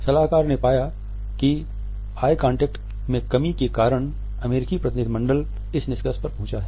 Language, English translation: Hindi, The consultant found out that it is because of the lack of eye contact that the American delegation has reached this conclusion